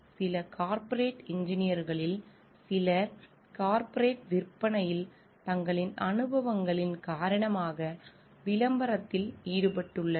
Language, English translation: Tamil, Some in some corporate engineers are involved in advertising because of their experiences in corporate sales